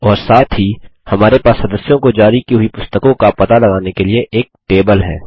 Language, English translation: Hindi, And, we also have a table to track the books issued to the members